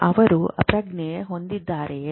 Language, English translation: Kannada, Are they also conscious